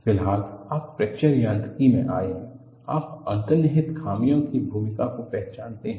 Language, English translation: Hindi, The moment, you have come to Fracture Mechanics, you recognize the role of inherent flaws